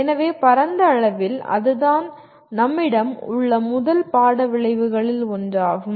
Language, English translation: Tamil, So broadly that is the one of the first course outcomes that we have